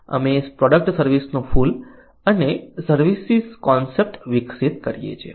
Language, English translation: Gujarati, we see the flower of product service and developing the services concept